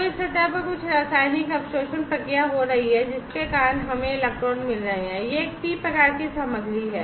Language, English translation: Hindi, So, there is some chemical absorption process taking place on this surface, due to which we are getting the electrons this is a p type material